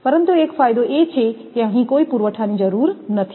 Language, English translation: Gujarati, But, one advantage is there here no reservoir is required